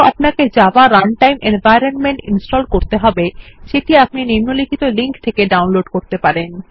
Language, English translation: Bengali, You will also need to install Java Runtime Environment which you can download at the following link